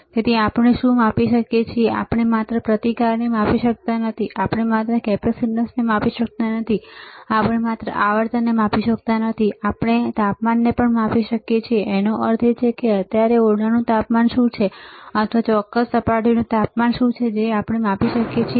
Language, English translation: Gujarati, So, what we can measure, we cannot only measure the resistance, we cannot only measure the capacitance, we cannot only measure the frequency we can also measure the temperature; that means, what is the room temperature right now, or what is the temperature of particular surface that we can measure